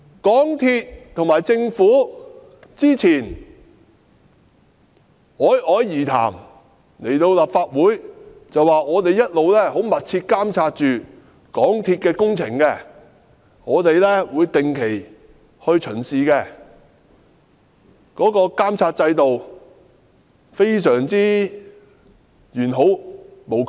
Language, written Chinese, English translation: Cantonese, 港鐵公司和政府早前侃侃而談，來到立法會表示，他們一直密切監察港鐵工程，會定期巡視，監察制度完好無缺。, Earlier on MTRCL and the Government spoke with ease and assurance . They came to the Legislative Council and said they had been monitoring the works of MTR closely . They would conduct regular inspections